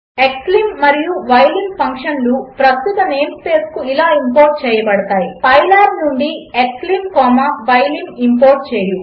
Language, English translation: Telugu, Functions xlim() and ylim() can be imported to the current name space as, from pylab import xlim comma ylim